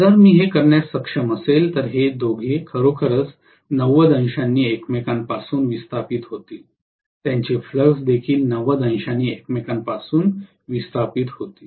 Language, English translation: Marathi, If I am able to do this, then these two are actually displaced from each other by 90 degrees their fluxes will also be displaced from each other by 90 degrees